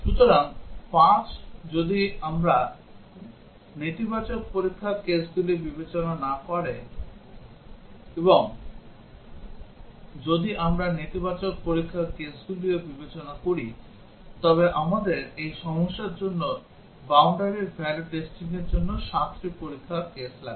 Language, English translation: Bengali, So, five if we do not consider negative test cases; and if we consider negative test cases as well, we will need seven test cases for boundary value testing for this problem